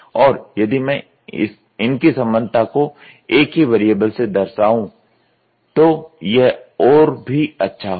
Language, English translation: Hindi, And, if I can express all the relationship using one variable so, that is excellent